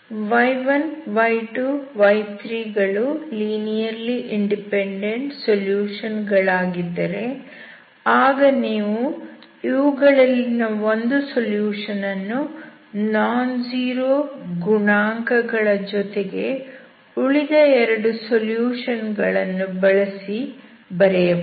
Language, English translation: Kannada, If the solutions y1, y2, y3 are linearly dependent that means if you take anyone of them, you can write that in terms of other with some nonzero coefficients